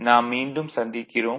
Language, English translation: Tamil, Ok, we are back again